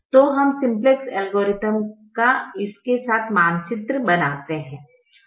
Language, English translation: Hindi, so let us map the simplex algorithm with this now